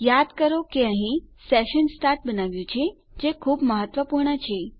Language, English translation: Gujarati, Let me remind you here that we just created our session start here, which is very important